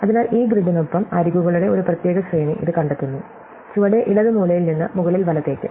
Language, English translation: Malayalam, So, this traces out one particular sequence of edges along this grid taking us from the bottom left corner to the top right